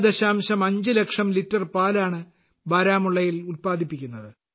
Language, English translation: Malayalam, 5 lakh liters of milk is being produced daily in Baramulla